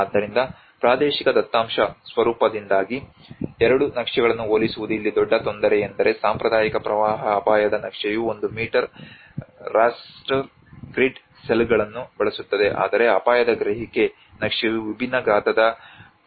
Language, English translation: Kannada, So the biggest difficulty here is comparing the two maps because of the spatial data format one is the traditional flood risk map uses the one meter raster grid cells, whereas the risk perception map is based on the polygons of varying sizes